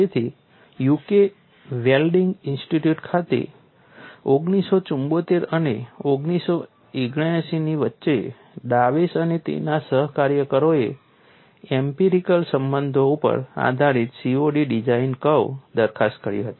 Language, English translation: Gujarati, So, Dews and his co workers between the years 1974 and 1979 at UK Welding Institute proposed COD design curve based on empirical correlations